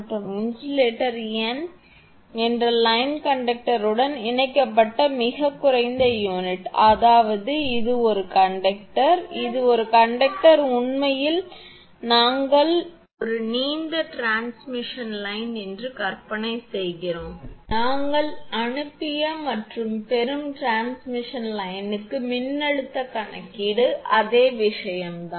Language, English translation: Tamil, And insulator n is the lowest unit attached to the line conductor that means, this one this is conductor this is conductor actually we imagine that is a long transmission line the way we have done that your sending and receiving voltage calculation for the long transmission line this is the same thing